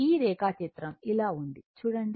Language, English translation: Telugu, So, just see this diagram is like this